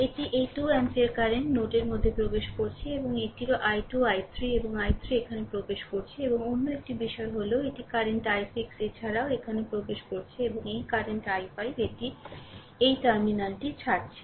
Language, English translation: Bengali, This is this 2 ampere current is entering into the node, and this this one also that is your i 2 i 3 this i 3 is entering here right and another thing is this current i 6 also entering here and this current i 5 it is leaving this terminal